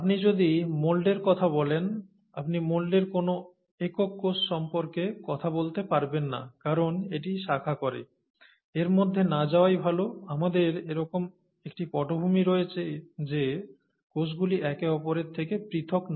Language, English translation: Bengali, If you talk of mould, you know, you cannot really talk of a single cell in the mould because it branches and so on so forth, let’s not get into that, we just need to, kind of, have this in the background saying that the cells are not separated from each other